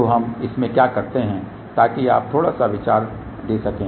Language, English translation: Hindi, So, what we do in that so just to give you little bit of an idea